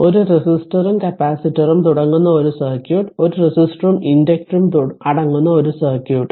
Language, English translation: Malayalam, A circuit you are comprising a resistor and a capacitor and a circuit comprising a resistor and your inductor